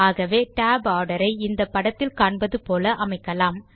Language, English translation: Tamil, So let us set the tab order as shown in the image here